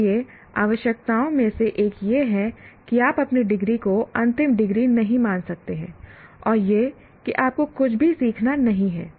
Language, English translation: Hindi, So, one of the requirements is you cannot consider your degree is the terminal degree and you don't have to learn anything